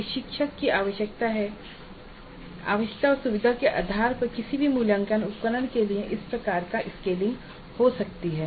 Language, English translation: Hindi, So it's possible and this kind of a scaling down can happen for any assessment instrument based on the need and the convenience of the instructor